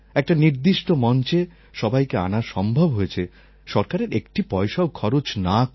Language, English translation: Bengali, All things were brought together on a platform and the government did not have to spend a single penny